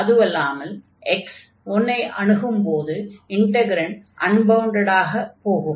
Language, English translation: Tamil, And also when x is approaching to 1, this integrand is getting unbounded